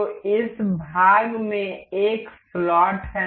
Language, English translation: Hindi, So, this part has a slot into it